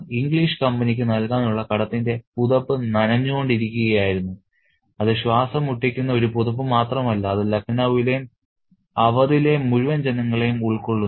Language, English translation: Malayalam, So, the blanket of debt to the English company was becoming wetter and it's not just a blanket which is suffocating, which is covering the entire populace of Lucknow and Oud, it is also becoming wetter, it's become terribly uncomfortable